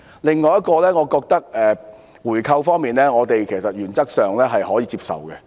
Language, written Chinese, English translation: Cantonese, 此外，有關回購，我們認為原則上可以接受。, Besides regarding a buyback we consider it acceptable in principle